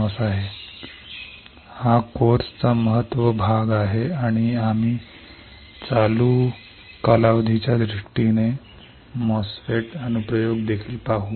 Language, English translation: Marathi, This is the important part or important chunk of the course, and we will also see an application of the MOSFET in terms of current period